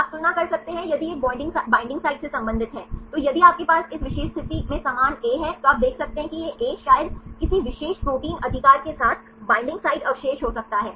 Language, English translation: Hindi, You can compare if this belongs to a binding site, then if you have the same A in this particular position then you can see that this A could be probably a binding site residue with any particular protein right